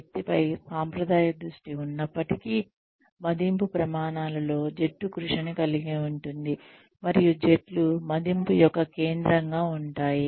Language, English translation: Telugu, Despite the traditional focus on the individual, appraisal criteria can include teamwork, and the teams can be the focus of the appraisal